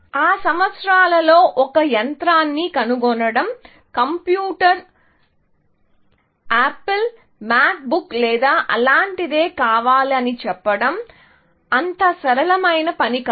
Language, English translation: Telugu, In those years, of course, buying a machine, a computer was not such a straight forward task as saying that I want Apple, Mac book or something like that